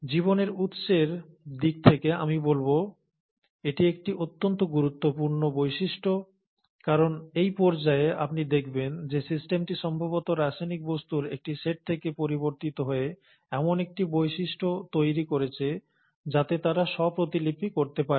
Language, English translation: Bengali, Now this is one of the most critical features, I would say, in terms of the origin of life, because it is at this stage you would find, that probably the system changed from just a set of chemical entities into developing a property where they could self replicate